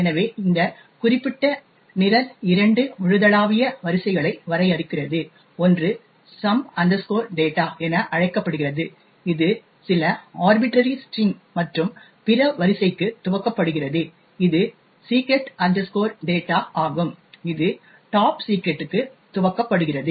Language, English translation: Tamil, this particular program defines two global arrays, one is known as some data which is initialised to some arbitrary string and other array which is secret data which is initialised to topsecret